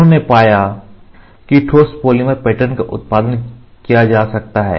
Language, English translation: Hindi, He discovered that solid polymer patterns could be produced